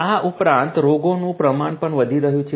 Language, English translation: Gujarati, Additionally, the number of diseases are also increasing